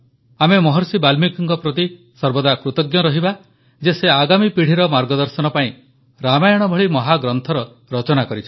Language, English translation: Odia, We will always be grateful to Maharishi Valmiki for composing an epic like Ramayana to guide the future generations